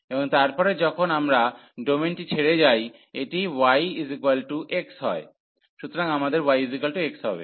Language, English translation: Bengali, And then when we leave the domain, this is y is equal to x, so we have y is equal to x